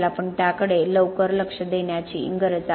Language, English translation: Marathi, We need to be looking into that early on